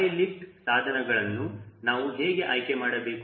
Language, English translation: Kannada, how to select and high lift devices